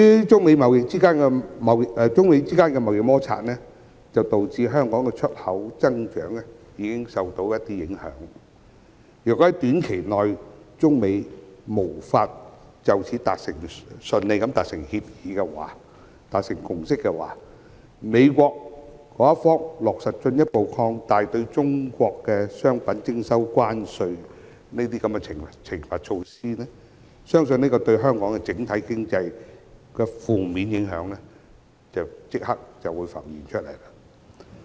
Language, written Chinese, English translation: Cantonese, 中美之間的貿易摩擦已經導致香港的出口增長受到影響，如果中美在短期內無法順利達成協議和共識，美國將落實進一步擴大對中國商品徵收關稅的懲罰措施，對香港整體經濟的負面影響相信會立刻浮現。, The United States - China trade conflict has already caused impacts on the growth of Hong Kongs exports . In the event that China and the United States cannot reach an agreement and consensus smoothly in the short run the United States will further expand the punitive measure of imposing tariffs on Chinese products . It is believed that the impacts on Hong Kongs overall economy will emerge immediately